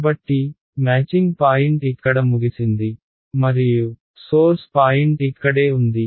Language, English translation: Telugu, So, your matching point is over here and your source point is over here right